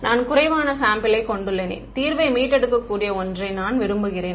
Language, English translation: Tamil, I have undersampled data and I want something that can recover the solution all right